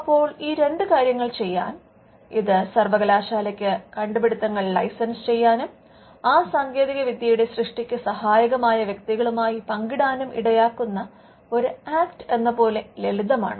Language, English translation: Malayalam, Now, to do these two things; it is a simple case that there is an Act which required the university to license the inventions to industry and also to have some sharing between the people who contributed to the creation of that new technology